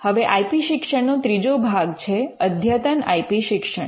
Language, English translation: Gujarati, Now, the third part of IP education is the advanced IP education